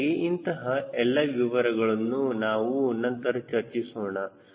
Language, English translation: Kannada, so all those details we will be talking later